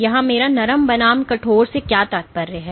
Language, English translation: Hindi, So, what do I mean by soft versus stiff